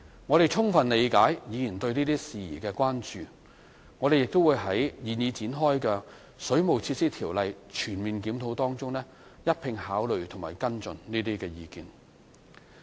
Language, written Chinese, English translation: Cantonese, 我們充分理解議員對這些事宜的關注，亦會在現已展開的《水務設施條例》全面檢討中一併考慮和跟進這些意見。, We fully appreciate their concerns over these issues and will consider and follow up with their views in the holistic review of the Ordinance which is now underway